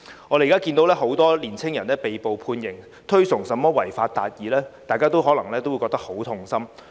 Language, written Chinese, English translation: Cantonese, 我們現時看到很多年輕人被捕、被判刑，推崇甚麼違法達義，大家可能也會覺得很痛心。, We have seen many young people being arrested and sentenced to jail for promoting what is known as achieving justice by violating the law and we may feel deeply distressed